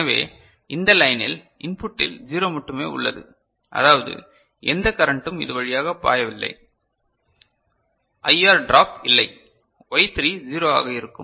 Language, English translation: Tamil, So, at the input of over this line only 0 is present I mean, no connect no current is flowing through this, no IR drop, Y3 will be 0